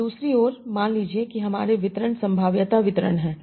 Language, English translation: Hindi, Now on the other hand suppose my distributions are probability distributions